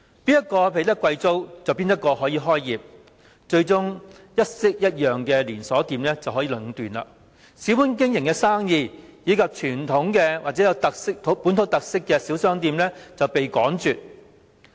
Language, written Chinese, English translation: Cantonese, 誰付得起貴租便可以開業，最終令一式一樣的連鎖商店得以壟斷，而小本經營的生意，以及有傳統或本土特色的小商店卻被趕絕。, Whoever has the means to pay expensive rental can start a business . As a result the shopping arcades are monopolized by identical chain stores whereas businesses operated with small capital and small shops with traditional or local characteristics are driven away